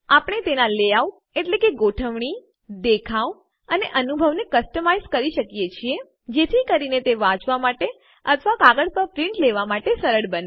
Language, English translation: Gujarati, We can customize its layout, look and feel, so that it is easy to read or print on paper